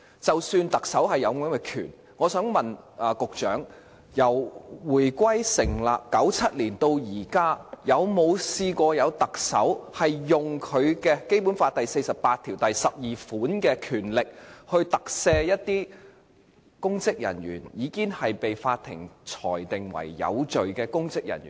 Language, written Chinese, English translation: Cantonese, 即使特首有這項權力，我想請問局長，由香港回歸、特區成立、1997年到現在，有沒有特首曾運用《基本法》第四十八條第項賦予他的權力，特赦一些已經被法庭裁定罪成的公職人員？, The Chief Executive is indeed entrusted with this power . But can the Secretary tell me whether any Chief Executive has ever invoked his power under BL 4812 to pardon any public officers already convicted by the Court since the reunification and the establishment of the Hong Kong Special Administrative Region in 1997? . Has any Chief Executive ever done so?